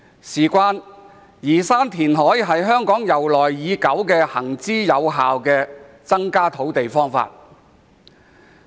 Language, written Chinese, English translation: Cantonese, 透過填海增加土地供應，是香港沿用已久、行之有效的方法。, Increasing land supply through reclamation is a long - established and effective method in Hong Kong